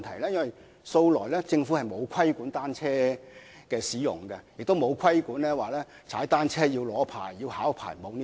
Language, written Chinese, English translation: Cantonese, 政府素來沒有規管單車的使用，也沒有規定駕駛單車需要考取或領取牌照。, The Government has never regulated the use of bicycles nor has it ever required cyclists to undergo any cycling test or apply for a licence